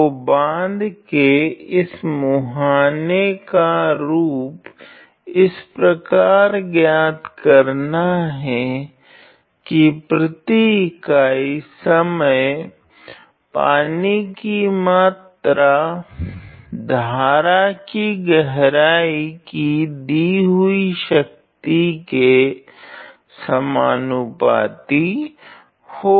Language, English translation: Hindi, So, find the form of this face of the dam of the dam such that the quantity of water per unit time per unit time is proportional to a given power of stream depth ok